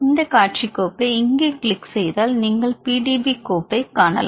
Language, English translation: Tamil, Now how to view the PDB file, if you click here this display file you can see the PDB file